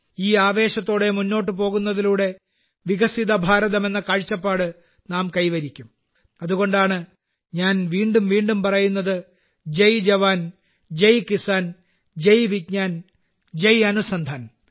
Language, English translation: Malayalam, Moving ahead with this fervour, we shall achieve the vision of a developed India and that is why I say again and again, 'Jai JawanJai Kisan', 'Jai VigyanJai Anusandhan'